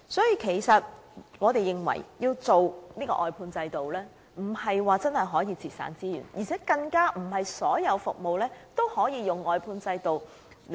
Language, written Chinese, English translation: Cantonese, 因此，我們認為推行外判制度不能真正節省資源，更不是所有服務均可使用外判制度。, For this reason we consider that the implementation of the outsourcing system cannot really save resources . What is more not all services can be delivered by the outsourcing system